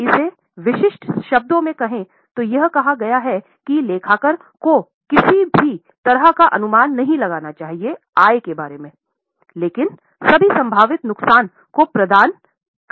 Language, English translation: Hindi, To put it in specific terms, it states that accountant should not anticipate any income but shall provide for all possible losses